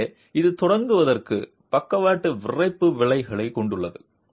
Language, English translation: Tamil, So, it has a lateral stiffening effect to begin with